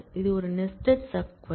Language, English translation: Tamil, this is a nested sub query